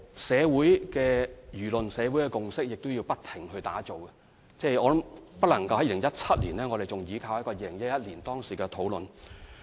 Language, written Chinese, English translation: Cantonese, 社會的輿論和共識亦要不停醞釀，不能在2017年時仍依靠2011年的討論作為基礎。, Social opinions and consensus must always keep abreast of the times so in 2017 we cannot possibly stick to the discussions in 2011 as our basis